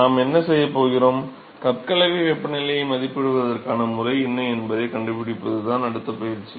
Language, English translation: Tamil, So, what we are going to do, next exercise is to find out what is the method to estimate the cup mixing temperature